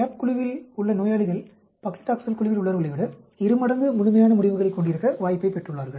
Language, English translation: Tamil, Patient in the CAP group are twice as likely to have a complete response as those in the Paclitaxel group